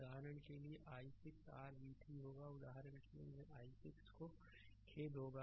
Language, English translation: Hindi, For example, i 6 will be your v 3 for example, here i 6 will be ah sorry ah sorry